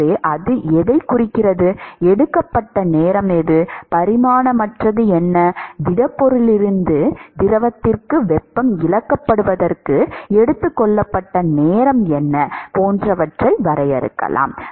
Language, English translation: Tamil, So, what it signifies is what is the time that is taken, what is the dimensionless, I mean what is the time that is taken in order for the heat to be lost from the solid to the fluid